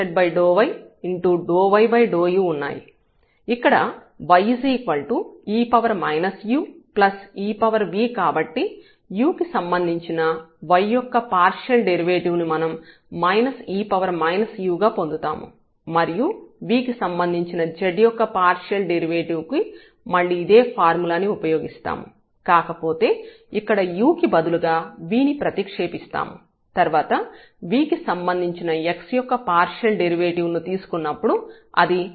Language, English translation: Telugu, So, it we will get here minus e power minus u which is the term here and now the partial derivative of z with respect to v again the similar formula, but instead of u we have v here and then when we take the partial derivative of x with respect to v